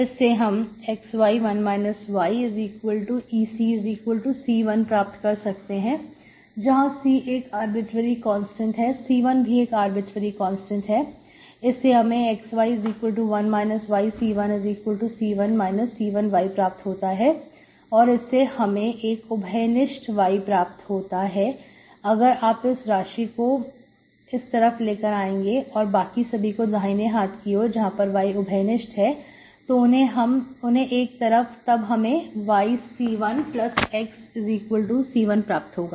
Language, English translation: Hindi, So this implies xy by 1 minus y equal to E power C, which is arbitrary constant, if C is arbitrary constant, C1 is also arbitrary constant, that will give me xy equal to 1 minus y Times C1, that is C1 minus C1 y, that will give me y common, you bring it this side, this term if you bring it, the other side, left hand side, y is common, so you have C1 plus x equals to C1